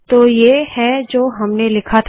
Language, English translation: Hindi, So this is what I have written here